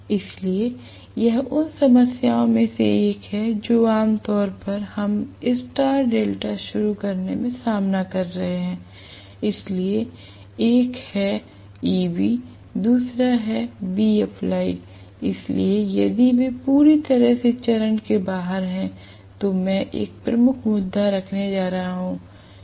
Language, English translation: Hindi, So, this is one of the problems normally we may face in star delta starting, so one is Eb the other one will be V applied, so if they are completely out of phase, then I am going to have a major issue right